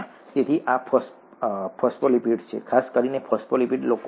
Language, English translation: Gujarati, So this is a phospholipid, particularly phosphatidyl choline